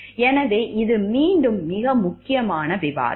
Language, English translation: Tamil, So, this, again this part is very important discussion